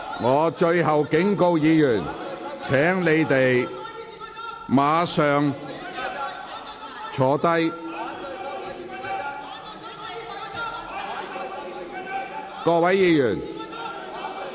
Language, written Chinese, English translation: Cantonese, 我最後警告議員，請立即坐下。, I warn Members the last time . Please sit down immediately